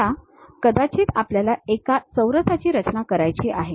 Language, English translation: Marathi, Now, maybe we want to construct a square